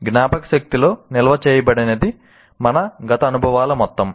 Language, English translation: Telugu, what is stored in the memory is some aspects of all our past experiences